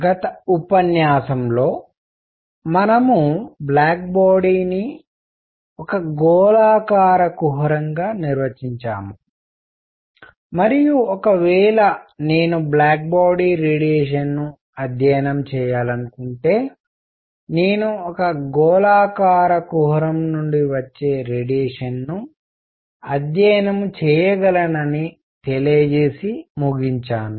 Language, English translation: Telugu, In the previous lecture we defined black body as a spherical cavity, and concluded that if I want to study black body radiation I can study the radiation coming out of a spherical cavity